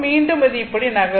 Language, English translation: Tamil, So, it is moving like this